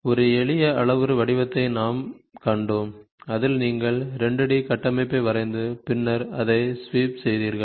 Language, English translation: Tamil, We also saw a simple parametric form where in which you draw a 2 D structure and then you sweep it